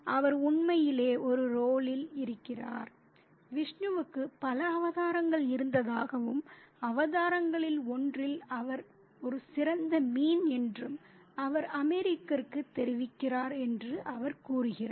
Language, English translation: Tamil, He suggests that there are several, he informs the American that Vishnu has had several avatars and he was also a great fish in one of the avatars